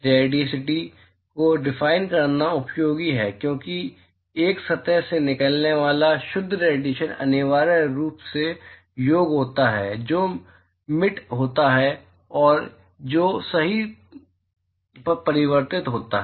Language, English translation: Hindi, It is useful to define Radiosity, because the net radiation that comes out of a surface, is essentially sum of, what is Emitted plus what is Reflected right